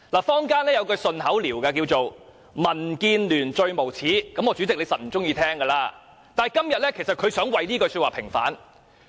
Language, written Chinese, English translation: Cantonese, 坊間有一句"順口溜"，叫作"民建聯最無耻"——代理主席一定不喜歡聽——但今天，其實他想為這句說話平反。, There is a catchy phrase in the community The most shameless DAB―Deputy President surely does not like it―But today he actually wants to have this phrase vindicated